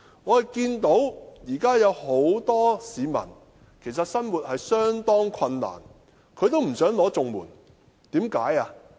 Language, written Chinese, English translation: Cantonese, 我看到現時有很多市民即使生活得相當困難，但也不想領取綜援，為甚麼呢？, I see that at present many people are reluctant to apply for CSSA even if they live a hard life . Why?